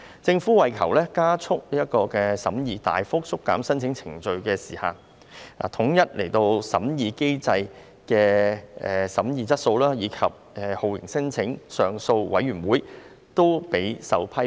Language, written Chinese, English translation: Cantonese, 政府為求加速審議，大幅縮減申請程序的時限，統一審核機制的審議水平及酷刑聲請上訴委員會均備受批評。, The Government has substantially shortened the deadline for filing judicial reviews to expedite case disposal . The screening standard of the unified screening mechanism USM and the performance of the Torture Claims Appeal Board TCAB have been under attack